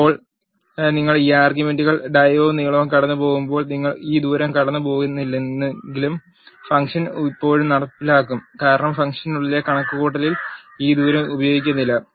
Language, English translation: Malayalam, Now, when you pass this arguments dia and length even though you are not passing this radius the function will still execute because this radius is not used in the calculations inside the function